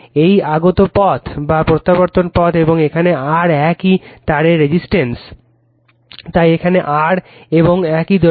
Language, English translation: Bengali, And the resistance here is R same wire, so here is R and same length